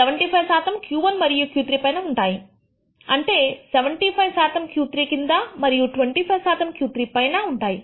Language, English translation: Telugu, 75 percent above Q 1 and Q 3 implies that 75 percent of the data points fall below Q 3 and 25 percent above Q 3